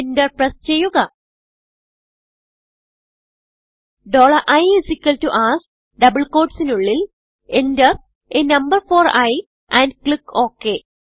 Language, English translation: Malayalam, $i= ask within double quotes enter a number for i and click OK